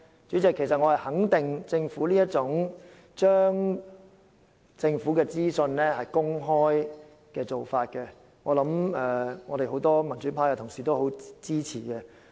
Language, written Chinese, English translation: Cantonese, 主席，我肯定政府將資料公開的做法，會獲得很多民主派同事支持。, President I am sure making the information publicly available will receive support from many pro - democracy colleagues